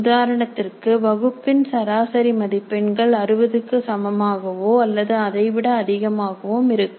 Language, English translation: Tamil, For example, the target can be that the class average marks will be greater than are equal to 60